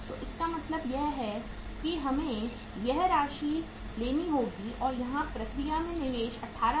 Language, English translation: Hindi, So it means we will have to take this amount that investment in the work in process here is that is 18,750